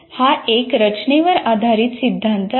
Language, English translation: Marathi, It is a design oriented theory